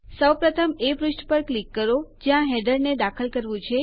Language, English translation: Gujarati, First click on the page where the header should be inserted